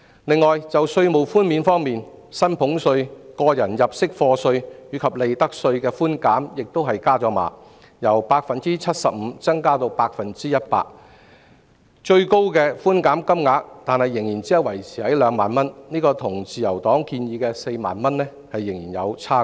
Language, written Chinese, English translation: Cantonese, 此外，在稅務寬免方面，薪俸稅、個人入息課稅及利得稅的寬免額亦上調，由 75% 增至 100%， 但最高寬減金額只維持在2萬元，與自由黨建議的4萬元仍有差距。, Moreover in respect of tax concessions the percentage rate of reductions for salaries tax tax under personal assessment and profits tax was also increased from 75 % to 100 % but the ceiling was retained at 20,000 which is far lower than the 40,000 suggested by the Liberal Party